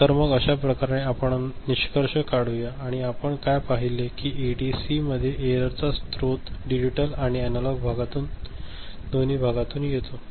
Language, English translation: Marathi, So, with this we conclude and what we have seen that in ADC the source of error comes from both digital and analog part